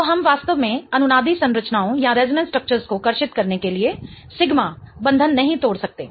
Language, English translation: Hindi, So, we cannot really break sigma bonds in order to draw resonance structures